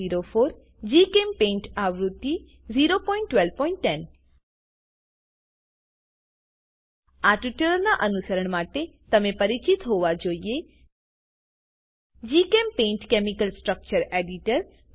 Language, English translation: Gujarati, 12.04 GChemPaint version 0.12.10 To follow this tutorial you should be familiar with, GChemPaint chemical structure editor